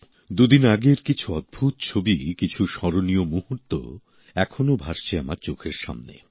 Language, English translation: Bengali, A few amazing pictures taken a couple of days ago, some memorable moments are still there in front of my eyes